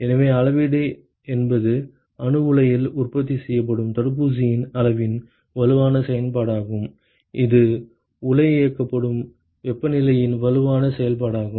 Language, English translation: Tamil, So, quantification is a strong function of the amount of vaccine that is produced in the reactor is a strong function of the temperature at which the reactor is operated